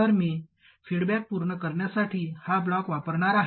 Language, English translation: Marathi, So I am going to use this block to complete the feedback